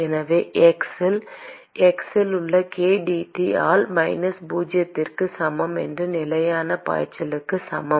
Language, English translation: Tamil, So minus k dT by dx at x equal to zero is equal to constant flux